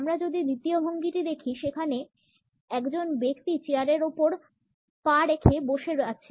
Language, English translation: Bengali, If we look at the second posture; in which a person is sitting with a leg over the arm of the chair